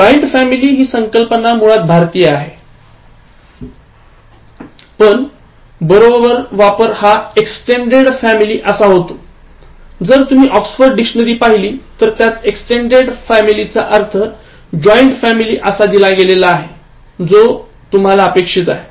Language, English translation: Marathi, The expression in the family, in the sense of joint family is actually Indianism, but the correct form is extended family and if you look at the Oxford English Dictionary, it defines extended family just in the way, you think about joint family